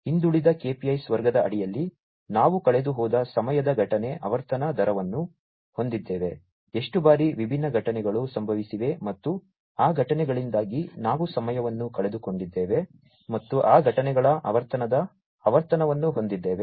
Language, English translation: Kannada, Under the lagging KPIs category, we have number of lost time incident frequency rate, how many times the different incidents have occurred, and we have lost time due to those incidents, and the frequency of occurrence of those incidents